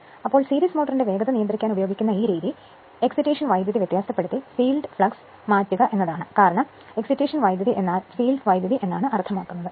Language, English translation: Malayalam, So, this method used used for controlling the speed of the series motor is to vary the field flux by varying the your, excitation current because, the excitation current means the field current right